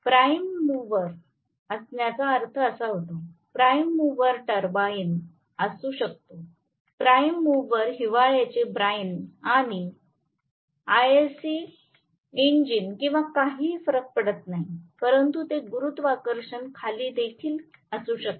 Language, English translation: Marathi, That is what I mean by having a prime mover, the prime mover can be a turbine, the prime mover can be a winter bine or IC engine or whatever does not matter, but it can also be gravitational pull